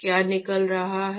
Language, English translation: Hindi, what is going out